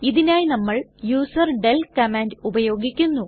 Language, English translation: Malayalam, For this we use userdel command